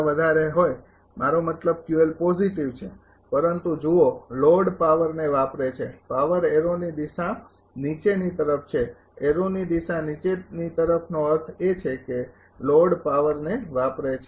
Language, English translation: Gujarati, I mean Q L is positive, but look the load is absorbing power arrow direction is downward, arrow direction is downward mean the load is absorbing power